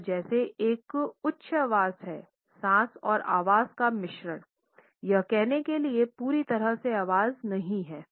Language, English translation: Hindi, It is a sigh like mixture of breath and voice it is not quite a full voice so to say